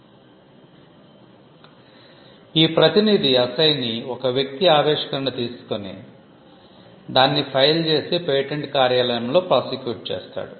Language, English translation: Telugu, Now, you will understand assignee, as a person who takes the invention and files it and prosecutes it at the patent office